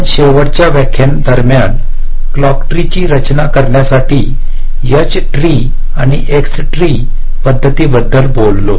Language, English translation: Marathi, we recall, during our last lecture we talked about the h tree and x tree approaches for designing a clock tree